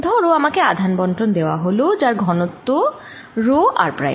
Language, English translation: Bengali, suppose i am given a charge distribution so that the density is rho r prime